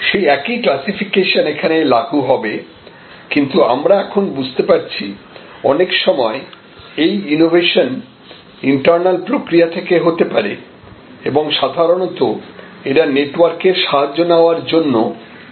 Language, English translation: Bengali, So, that same classification now applies, but we are now recognizing that many times this innovation can be internal process driven and mostly these are the ones which are very amenable to network advantages